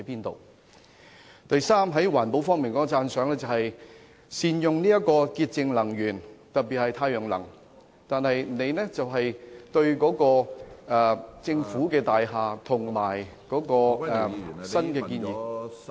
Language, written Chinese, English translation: Cantonese, 第三，在環保方面，我對善用潔淨能源，特別是太陽能的建議表示讚賞，但特首對政府大廈及新建議......, Thirdly in respect of environmental protection while I appreciate the proposal of utilizing cleaner energy especially solar power the Chief Executives proposal in respect of government buildings and new